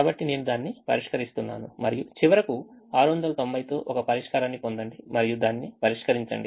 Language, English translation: Telugu, so i am just solving it and finally get a solution with six hundred and ninety and solve it